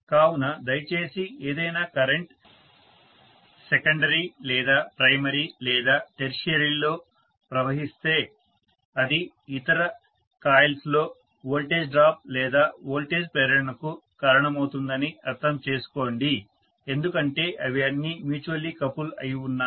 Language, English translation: Telugu, So please understand that any current if it flows either in the secondary or in the primary or in the tertiary it can cause a voltage drop or voltage induction in the other coils as well because they are all mutually coupled